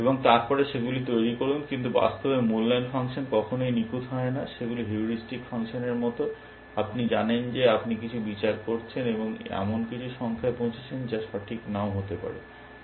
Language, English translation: Bengali, And then make them, but in practice, evaluation functions are never perfect, they are like heuristic functions, you know you are making some judgment, and arriving at some number that may not be accurate